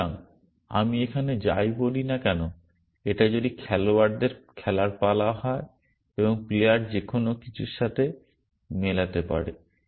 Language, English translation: Bengali, So, whatever I say here that if it is a players turn to play and the player could match anything